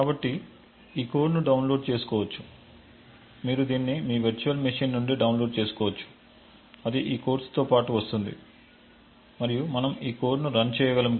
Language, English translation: Telugu, So, this code can be downloaded preferably you can download it from your virtual machine which comes along with this course and we could then run these codes